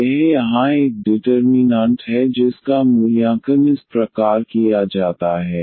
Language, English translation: Hindi, This is a determinant here which is evaluated in this way